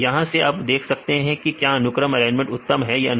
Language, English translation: Hindi, From that you can see whether the sequence alignment is perfect or not